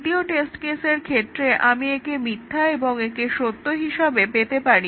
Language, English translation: Bengali, In the second test case, I can have this as false and this as true